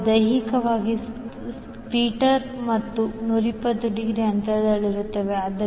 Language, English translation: Kannada, They are physically 120 degree apart around the stator